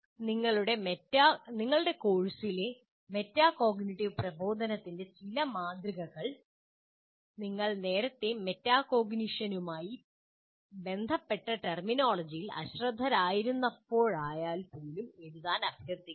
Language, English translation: Malayalam, Now, what we request you is write a few instances of metacognitive instruction in your course even though you did not use or you are unaware of the terminology associated with metacognition earlier